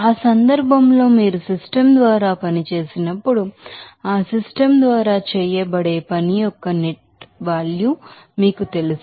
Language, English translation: Telugu, So, in that case when you work done by the system will be working you know that the net of work done by that system